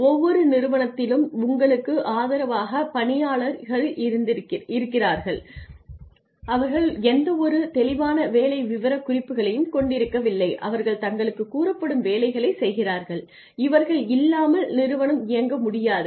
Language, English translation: Tamil, So, you have the support staff in every organization that do not really have any clear job specifications they do whatever they are told to do their helping hands, without them the organization cannot run